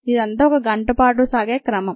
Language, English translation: Telugu, this is of the order of an hour